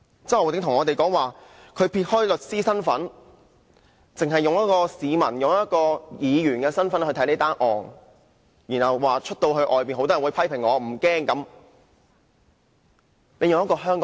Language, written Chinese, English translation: Cantonese, 周浩鼎議員表示他撇開律師的身份，只是以市民、議員的身份來看這宗案件，又說即使街上被多人批評也不害怕。, Mr Holden CHOW said that he would put aside his capacity as a lawyer and step into the shoes of a member of the general public and that of a Member of the Legislative Council to look at the case . He said he did not fear the criticisms launched against him in the street